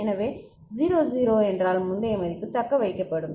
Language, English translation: Tamil, So, 0 0 means previous value will be retained